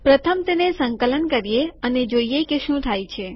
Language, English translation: Gujarati, Lets first compile it and see what happens